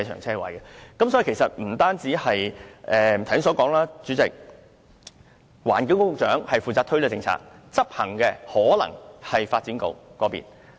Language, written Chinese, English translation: Cantonese, 所以，正如我剛才所說，主席，環境局局長負責推行這項政策，而執行的可能是發展局。, As I have said Chairman the Secretary for the Environment is responsible for formulating the policy and the Development Bureau is responsible for execution